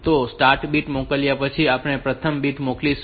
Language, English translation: Gujarati, So, after sending the start bit, we will be sending the first bit